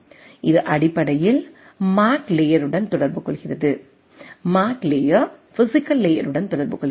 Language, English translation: Tamil, And it basically communicate with MAC layer, MAC layer in turns communicates with the physical layer